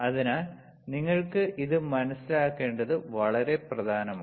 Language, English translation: Malayalam, So, very important you had to understand